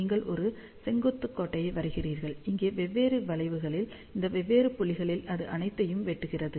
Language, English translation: Tamil, So, you draw a vertical line, it cuts all these different curves at different points over here